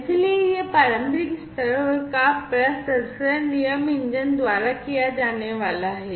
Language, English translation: Hindi, So, this preliminary level processing is going to be done by the rule engine